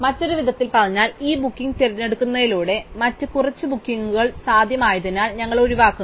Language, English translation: Malayalam, In other words, by choosing this booking we rule out as few other bookings is possible